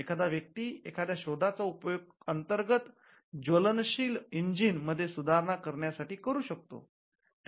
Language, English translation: Marathi, When a person comes up with an invention, the invention could be improvement in an internal combustion engine that could be an invention